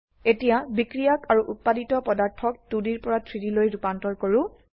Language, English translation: Assamese, Now lets convert the reactants and products from 2D to 3D